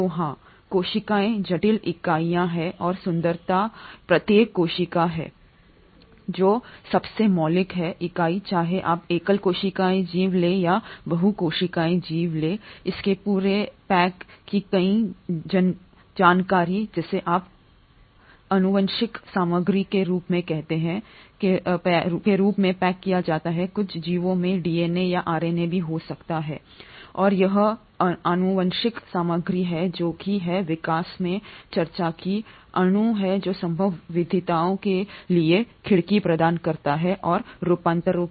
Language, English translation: Hindi, So yes, cells are complex entities and the beauty is each cell which is the most fundamental unit whether you take a single celled organism or a multicellular organism has its entire information packaged which is what you call as the genetic material packaged in the form of DNA in some organisms it can be RNA too, and it is this genetic material which has been discussed in evolution, is the molecule which provides the window for possible variations and adaptations